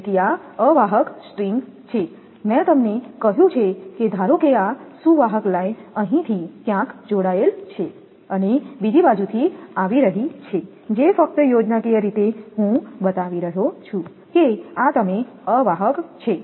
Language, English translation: Gujarati, So, these are insulator string I told you suppose conductor line is coming from somewhere connected here and from another side that just schematically I am showing that this is you are insulating